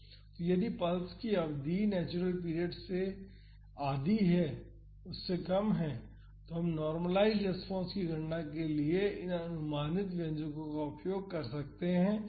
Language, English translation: Hindi, So, if the duration of the pulse is less than half the natural period, then we can use these approximated expressions to calculate the normalized response